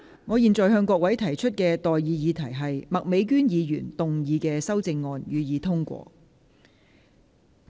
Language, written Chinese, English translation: Cantonese, 我現在向各位提出的待議議題是：麥美娟議員動議的修正案，予以通過。, I now propose the question to you and that is That the amendment moved by Ms Alice MAK be passed